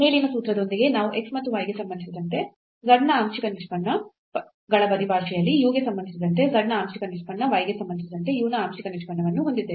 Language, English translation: Kannada, So, with the formula derived above we have a partial derivative of z with respect to u in terms of the partial derivatives of z with respect to x and y and the partial derivative of x with respect to u partial derivative of y with respect to u again